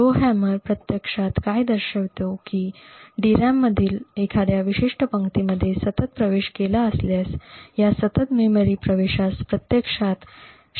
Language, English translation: Marathi, What the Rowhammer vulnerability actually showed was that if a particular row in the DRAM was continuously accessed this continuous memory access could actually influence the neighbouring rows